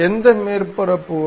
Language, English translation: Tamil, Up to which surface